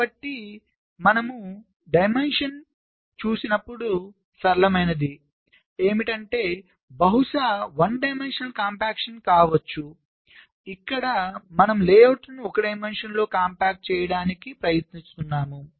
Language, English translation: Telugu, so when you look at dimension, the simplest can be possibly one dimensional compaction, where we try to compact the layouts in only one dimension